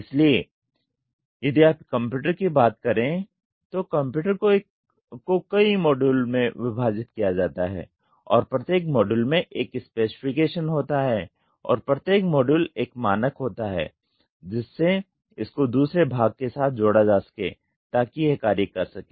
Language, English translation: Hindi, So, if you take a computer, the computer is divided into several modules and each module has a specification and each module has a standard to fix it with the other part so that it can function